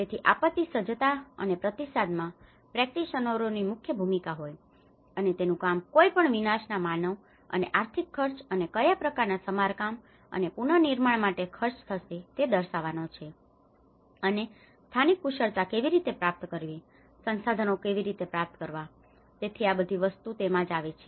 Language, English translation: Gujarati, So, practitioners have a key role in disaster preparedness and response, and it also has to outlay the human and financial cost of any catastrophe and what kind of repair and the reconstruction is going to cost and how to procure the local skills, how to procure the resources, so all these things fall within there